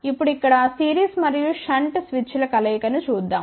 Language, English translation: Telugu, Now, let us look at the combination of series and shunt switches here ok